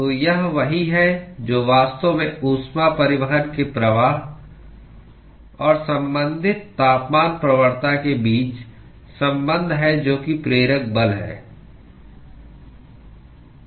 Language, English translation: Hindi, So, that is what is actually relation between the flux of heat transport and the corresponding temperature gradient which is the driving force